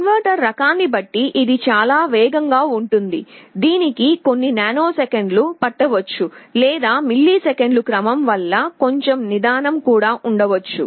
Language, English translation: Telugu, Depending on the type of converter it can be very fast, it can take few nanoseconds, or it can be quite slow of the order of milliseconds